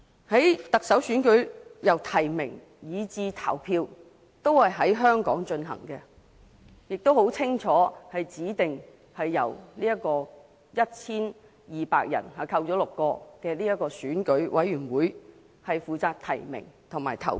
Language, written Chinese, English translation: Cantonese, 行政長官選舉由提名以至投票都在香港進行，而且清楚指定由 1,200 人組成的選舉委員會負責提名及投票。, As far as the Chief Executive Election is concerned the nomination and voting stages all take place in Hong Kong and it is clearly stipulated that the Election Committee composing of 1 200 members minus six shall be responsible for nominating candidates and electing the Chief Executive